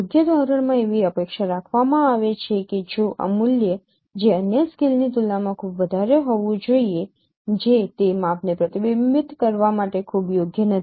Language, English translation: Gujarati, In a proper scale it is expected that this value should be very high compared to the other scales which are not very appropriate for reflecting that measure